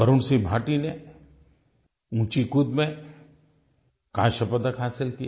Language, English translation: Hindi, Bhati won a bronze medal in High Jump